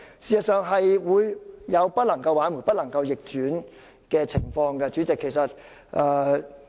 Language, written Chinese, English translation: Cantonese, 事實上，這是會引致無法挽回、不能逆轉的情況的。, The truth is that such amendments will bring irreparable and irreversible consequences